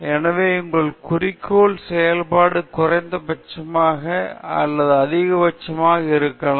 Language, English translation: Tamil, So, your objective function may be either minimum or maximum